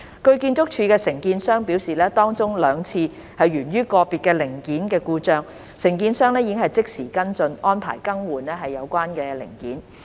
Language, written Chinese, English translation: Cantonese, 據建築署的承建商表示，當中兩次源於個別零件故障，承建商已即時跟進，安排更換有關零件。, According to the contractor of ArchSD two of the occasions were caused by malfunction of individual components and the contractor followed up immediately and arranged the replacement of the relevant parts